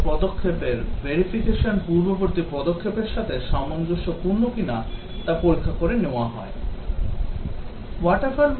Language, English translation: Bengali, All stages verification is undertaken to check whether they conform to the previous step